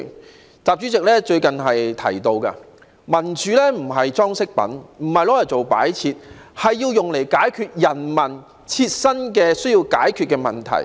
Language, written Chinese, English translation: Cantonese, 承習主席最近所言，民主不是裝飾品，不是用來做擺設的，而是要用來解決人民需要解決的問題的。, As rightly said by President XI recently democracy is not an ornament to be used for decoration; rather it is to be used to solve the problems that people need to solve